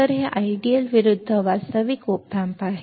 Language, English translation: Marathi, So, this is the ideal versus real op amp